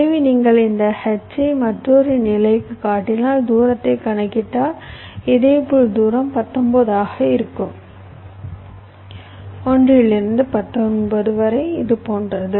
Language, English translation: Tamil, so so if you construct this h up to another level and if you calculate the distance similarly, the distance will be nineteen: one, two, three, four, five, six, seven, eight, nine, ten, eleven, twelve, fifteen, sixteen, seventeen, eighteen, nineteen, like this